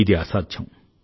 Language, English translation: Telugu, This is just impossible